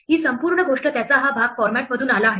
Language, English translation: Marathi, This whole thing, this part of it comes from the format